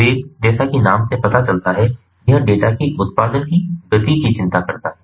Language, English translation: Hindi, velocity: as the name suggests, it concerns the speed of generation of the data